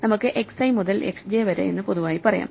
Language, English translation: Malayalam, So, we can in general talk about x i to x j